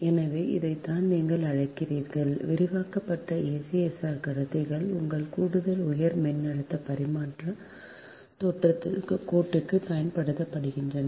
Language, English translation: Tamil, so this is that you, what you call ac i expanded acsr conductors are also used for your ah extra high voltage transmission line